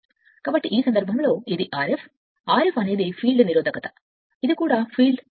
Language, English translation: Telugu, So, in this case and this is R f, R f is the field resistance, this is the field that this you also you can vary